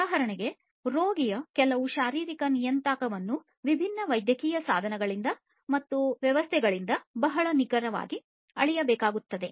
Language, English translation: Kannada, So, some physiological parameter of a patient, for example, has to be measured very accurately by different medical devices and systems